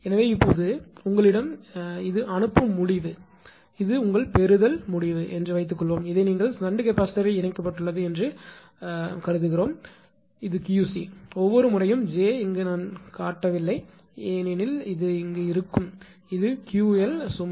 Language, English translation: Tamil, So, now suppose ah suppose you have this is your sending end and this is your receiving end right and your this is your what you call that shunt capacitor is connected Q c; j I have not shown here every time, but understandable and this is the Q load right